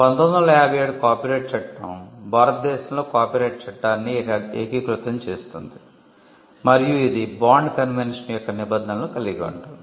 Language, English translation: Telugu, The copyright act of 1957 consolidates the law on copyright in India and it incorporates provisions of the bond convention